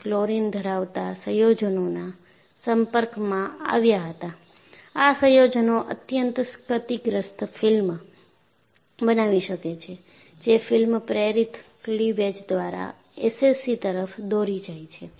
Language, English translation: Gujarati, So, they were exposed to chlorine containing compounds; these compounds can produce a highly corrosive film, which can lead to SCC through film induced cleavage